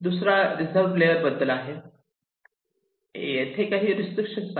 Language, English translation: Marathi, the second one is the reserved layers, where we have some restrictions